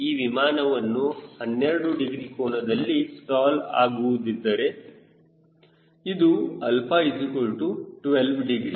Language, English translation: Kannada, if this airplane suppose to stall at twelve degrees, this is a alpha twelve degree